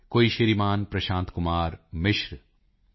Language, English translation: Punjabi, Shri Prashant Kumar Mishra, Shri T